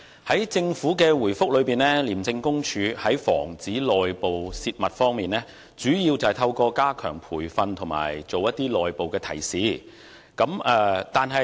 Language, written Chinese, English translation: Cantonese, 在政府的主體答覆中，廉署在防止內部泄密方面，主要是透過加強培訓和作出內部提示。, The Government says in the main reply that ICAC seeks to prevent the leakage of internal confidential information mainly by enhancing staff training and issuing internal guidelines